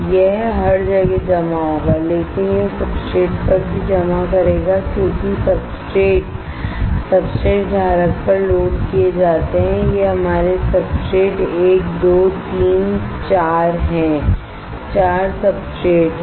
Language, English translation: Hindi, It will deposit everywhere, but it would also deposit on the substrate because substrates are loaded on the substrate holder right these are our substrate one 2 3 4, 4 substrates are there